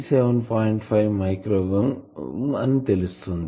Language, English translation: Telugu, 5 micro ohm it very poor that